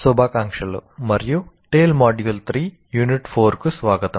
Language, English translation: Telugu, Greetings and welcome to Tale, Module 3, Unit 4